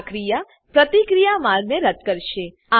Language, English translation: Gujarati, This action will remove the reaction pathway